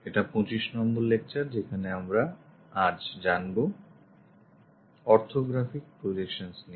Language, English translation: Bengali, We are covering module number 3 lecture number 25 on Orthographic Projections